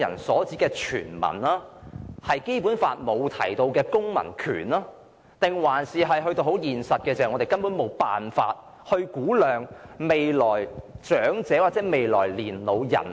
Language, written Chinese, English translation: Cantonese, 我不知道是因為《基本法》沒有訂明何謂"公民"，還是因為在現實上，我們根本無法估量未來的長者人口。, I wonder if this is because the definition of citizens is not stipulated in the Basic Law or because in reality we are utterly unable to project the elderly population in the future